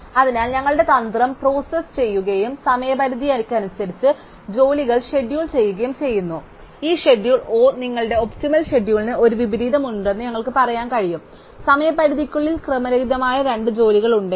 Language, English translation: Malayalam, So, our strategy processes and schedules jobs in order of deadlines, so we can say that this schedule O, the optimum schedule has an inversion, if it actually has two jobs which appear out of order within deadline